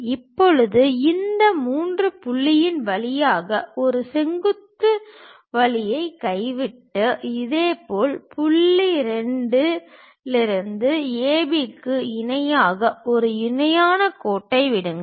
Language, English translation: Tamil, Now drop a vertical passing through this 3 point and similarly drop a parallel line parallel to A B from point 2